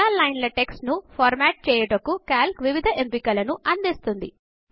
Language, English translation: Telugu, Calc provides various options for formatting multiple lines of text